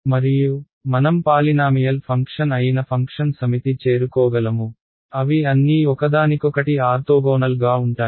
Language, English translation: Telugu, And, I can arrive at a set of functions that are polynomial function which are all orthogonal to each other ok